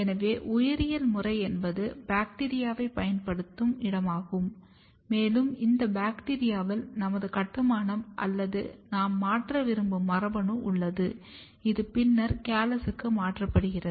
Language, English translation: Tamil, So, biological method is the one where we use bacteria and this bacteria contains our construct or the gene which we want to modify and this is then transferred into the callus